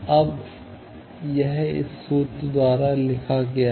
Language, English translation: Hindi, Now, that is written by this formula